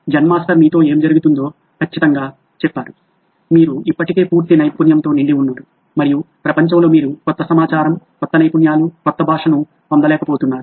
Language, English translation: Telugu, Zen Master said exactly what is happening with you, you are already full up to the brim with knowledge and there’s no way on earth you are going to get new information, new skills, new language